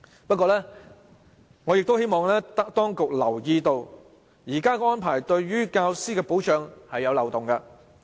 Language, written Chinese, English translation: Cantonese, 不過，我希望當局留意，現時的安排對於教師的保障尚有漏洞。, However I wish to draw the authorities attention that there are still loopholes in the present arrangement in protecting teachers